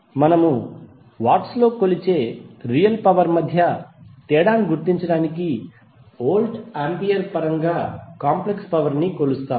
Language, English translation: Telugu, Now the apparent power is measured in volts ampere just to distinguish it from the real power because we say real power in terms of watts